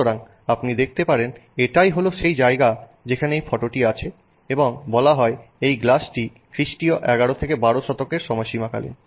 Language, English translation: Bengali, So, you can see that this is the place where this photo is available and this is said to be a glass that is from somewhere in the 11th to 12th century timeframe